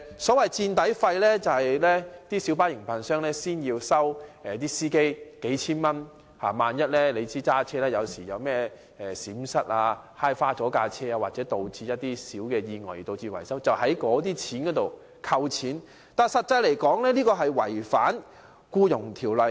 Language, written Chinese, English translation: Cantonese, 所謂的"墊底費"是小巴營辦商事先向司機收取數千元的費用，他們駕車時萬一有任何閃失，或因小意外而導致車輛損壞需要維修，維修費便從"墊底費"中扣除，但這做法違反《僱傭條例》。, The so - called insurance excess is an amount of a few thousand dollars collected by light bus operators from drivers in advance such that in case of any mishap or minor accident requiring repairs to the damaged vehicle the repair expenses will be deducted from the insurance excess . However such a practice is in breach of the Employment Ordinance